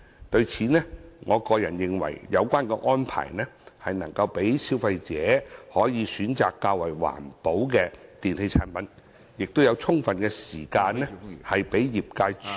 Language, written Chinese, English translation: Cantonese, 就此，我認為有關安排能讓消費者選擇較環保的電器產品，亦能提供充分時間讓業界處理有關事宜......, In my view the arrangements under the Amendment Order allow consumers to make informed choice on eco - friendly products and the industry to have sufficient time to deal with relevant issues